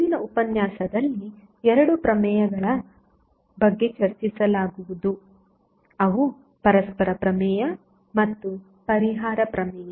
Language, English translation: Kannada, So, in today's lecture will discuss about 2 theorems, those are reciprocity theorem and compensation theorem